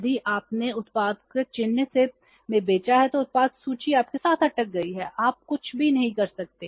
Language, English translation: Hindi, If you have sold the product in the market fine but if the product is still stuck with you you cannot do anything